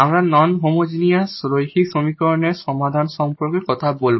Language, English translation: Bengali, We will be talking about the solution of non homogeneous linear equations